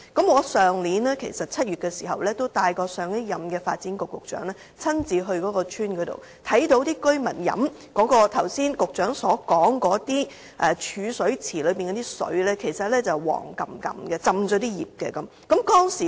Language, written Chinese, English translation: Cantonese, 去年7月，我帶同上任發展局局長親自到該村，看到居民飲用局長剛才說的儲水池內的水，那些水其實帶暗黃色，而且浸泡了樹葉。, In July last year I brought the previous Secretary for Development to the village and saw residents consuming water from the storage pool that the Secretary has just mentioned; the water was yellowish - brown in colour and full of leaves